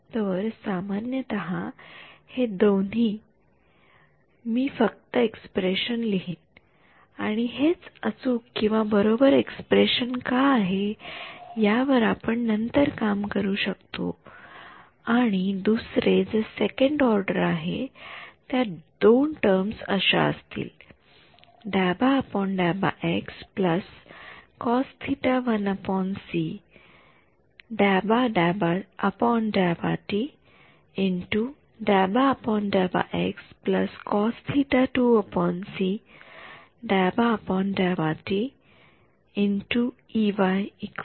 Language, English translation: Marathi, So, I generalize these two I will just write the expression and then we can work it out later why this is correct one expression and another since its 2nd order they will have to be two terms like this